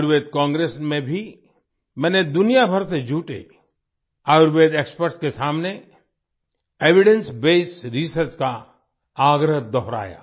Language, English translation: Hindi, Even in the Ayurveda Congress, I reiterated the point for evidence based research to the Ayurveda experts gathered from all over the world